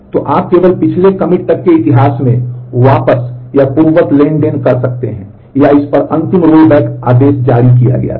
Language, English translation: Hindi, So, you can roll back or undo transactions only back up in history up to the last commit, or the last rollback command was issued on this